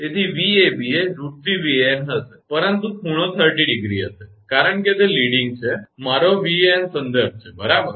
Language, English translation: Gujarati, So, Vab will be root 3 Van, but angle will be plus 30 degree, because it is leading suppose if my Van is the reference, right